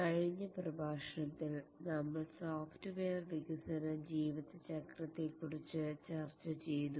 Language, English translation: Malayalam, In the last lecture we discussed about the software development lifecycle